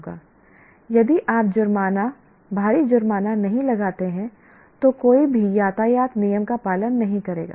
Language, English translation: Hindi, If you don't put fines, heavy fines, nobody will follow the traffic rule